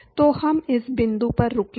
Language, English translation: Hindi, So we will stop at this point